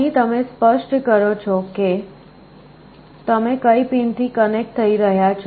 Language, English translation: Gujarati, Here you specify which pins you are connecting to